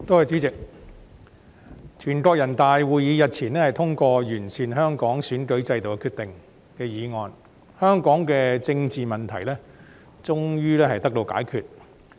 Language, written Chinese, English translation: Cantonese, 主席，全國人民代表大會會議日前通過關於完善香港選舉制度的決定，香港的政治問題終於得到解決。, President the National Peoples Congress passed the decision on improving the electoral system of Hong Kong at its meeting recently . Hong Kongs political problems can finally be resolved